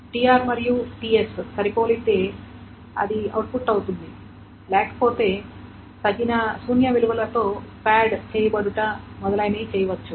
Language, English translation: Telugu, S match it is output it, otherwise it is padded with suitable null values and etc